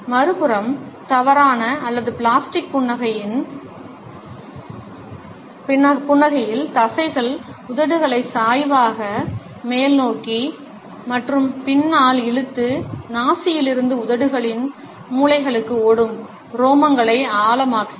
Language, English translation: Tamil, On the other hand, in false or plastic smiles we find that the muscles pull the lips obliquely upwards and back, deepening the furrows which run from the nostril to the corners of the lips